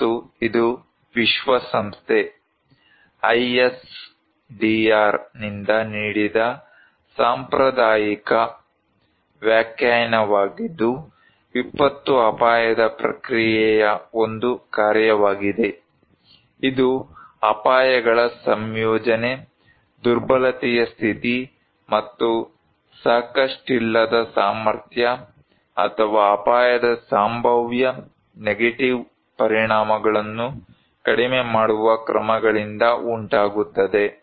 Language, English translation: Kannada, And it is a formal definition given by United Nations, ISDR as disaster is a function of the risk process, it results from the combination of hazards, condition of vulnerability and insufficient capacity or measures to reduce the potential negative consequence of risk